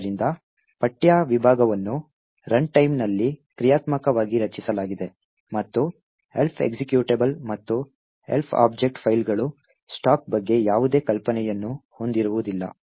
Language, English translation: Kannada, So this is because the text segment is created dynamically at runtime and the Elf executable and the Elf object files do not have any notion about stack